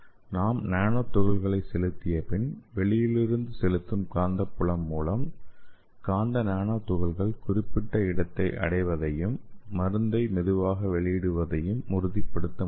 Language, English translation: Tamil, And we can also use it for targeted drug delivery we can inject the nanoparticles and we can use the external magnetic field so that the magnetic nanoparticle can stay at the particular location for more time and it can release the drug slowly